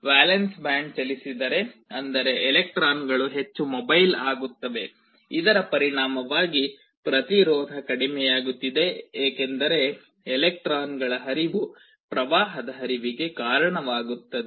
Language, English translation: Kannada, Valence band to conduction band if they move; that means, electrons become more mobile resulting in a reduction in resistance because flow of electrons result in a flow of current